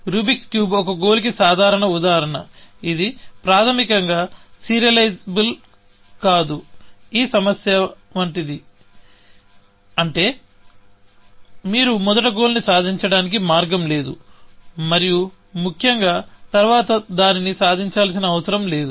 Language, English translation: Telugu, So, rubrics cube is the typical example of a goal, which is fundamentally, not serializable, like this problem, which means that there is no way that you can achieve the first goal, and not have to achieve it later again, essentially